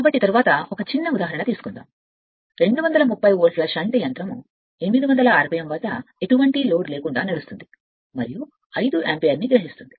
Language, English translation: Telugu, So, next take one small example suppose a 230 volts shunt motor runs at 800 rpm on no load and takes 5 ampere